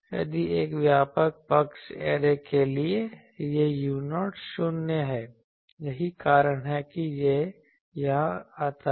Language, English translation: Hindi, If for a broad side array, this u 0 is 0 that is why it comes here